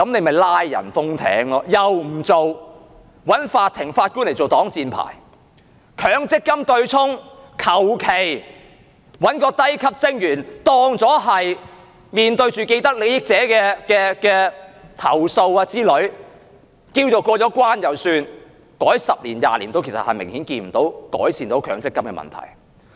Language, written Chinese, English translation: Cantonese, 她又不做，找法庭和法官來做擋箭牌；強積金對沖，隨便找一名低級職員，便當作面對既得利益者的投訴，便算"過了關"，改了十多二十年，其實也看不到強積金問題有明顯改善。, Yet she chose not to do so and used the Court and the Judge as the excuse . On the offsetting mechanism under the Mandatory Provident Fund System she just found a low - ranking staff member casually and considered it as having faced the complaints of vested interests thinking that she had got away with it . After the changes made in the past couple of decades in fact no significant amelioration of the problems related to MPF can be seen